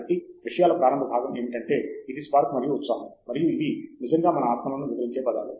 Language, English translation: Telugu, So, the initial part of things is this spark and excitement, and these are the words which actually describe our spirits initially